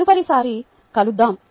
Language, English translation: Telugu, lets meet the next time, see you